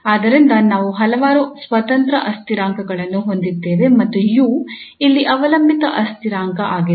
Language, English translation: Kannada, So we have several independent variables and u here is dependent variable